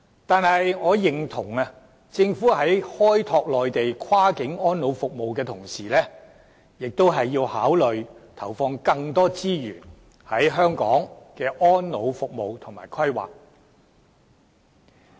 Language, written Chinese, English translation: Cantonese, 但是，我認同政府在開拓內地跨境安老服務的同時，也要考慮投放更多資源在香港的安老服務及規劃。, However I agree that while developing cross - boundary elderly care services on the Mainland the Government should also consider injecting more resources into elderly care services and planning in Hong Kong